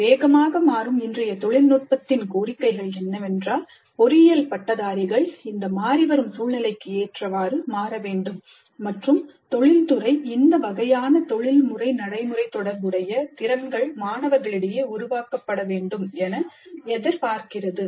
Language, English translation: Tamil, The fast changing pace of technology today demands that the engineering graduates must be capable of adapting to this changing scenario and industry expects these kind of professional practice related competencies to be developed in the students